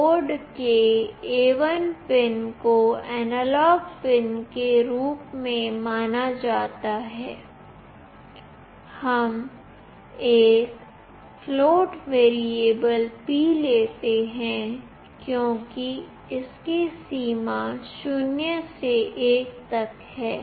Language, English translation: Hindi, The A1 pin of the board is considered as the analog pin here, we take a float variable p because it will get a value ranging from 0 to 1